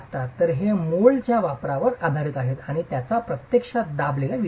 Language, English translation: Marathi, So, these are based on the use of moulds and they are actually pressed bricks